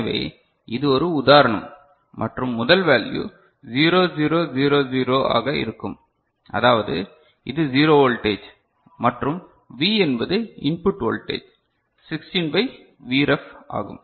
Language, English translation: Tamil, So, this is one such example right and the first value will be 0 0 0 0 means this is 0 into 0 voltage and V is the input voltage is Vref by 16